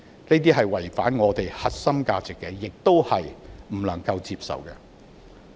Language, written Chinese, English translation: Cantonese, 這是違反香港的核心價值，也是我們不能接受的。, This is against Hong Kongs core values which is also unacceptable to us